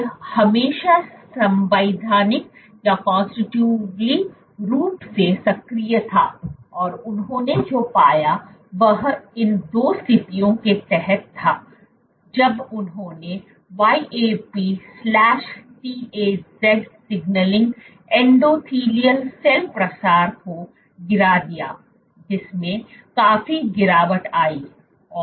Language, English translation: Hindi, This was always constitutively active and what they found was under these 2 conditions when they knock downed YAP/TAZ signaling endothelial cell proliferation dropped significantly